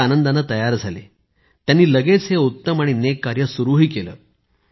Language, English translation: Marathi, He happily agreed to the suggestion and immediately started this good and noble effort